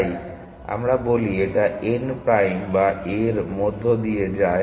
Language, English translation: Bengali, So, whether we say it is a passing through n prime or a